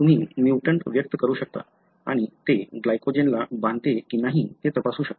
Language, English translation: Marathi, So, you can express the mutant and test whether it binds to glycogen